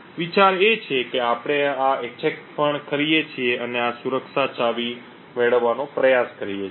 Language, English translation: Gujarati, The idea is that we run this attack and try to get this security key